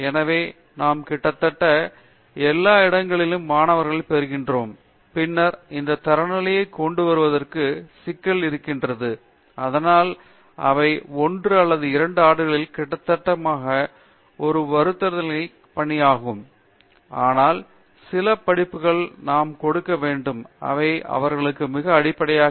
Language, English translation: Tamil, So, that do we get students from almost all the places and then we have the problem of bringing that standard of, so that they will be almost equal in 1 or 2 years and that’s a gigantic task, in one year it’s not possible we know, but then we have to give some courses which will be very basic to them